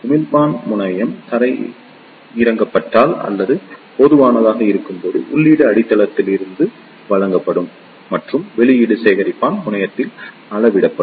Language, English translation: Tamil, In case of emitter terminal when it is grounded or made common, then input will be given to base and the output will be measured at collector terminal this is called as Common Emitter configuration